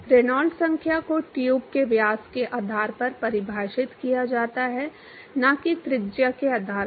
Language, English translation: Hindi, Reynolds number is defined based on the diameter of the tube not the radius